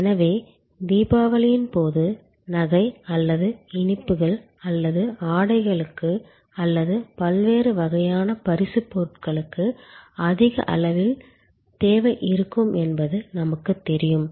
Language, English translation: Tamil, So, we know that during Diwali there will be a higher level of demand for jewelry or for sweets or for clothing or for different types of gift items